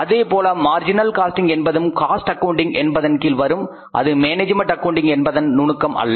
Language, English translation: Tamil, Similarly marginal costing, marginal costing is a part of is a technique of the cost accounting not of the management accounting